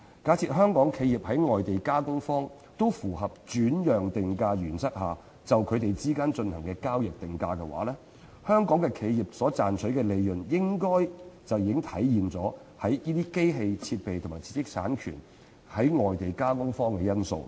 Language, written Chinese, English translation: Cantonese, 假設香港企業及外地加工方均在符合轉讓定價原則下就他們之間進行的交易定價，香港企業賺取的利潤應已體現其提供機器設備及知識產權予外地加工方的因素。, Assuming that Hong Kong enterprises and foreign processing parties agree on a transaction price which complies with the principle of transfer pricing the profits earned by Hong Kong enterprises should have reflected the factor that they provide machinery equipment and intellectual property rights to foreign processing parties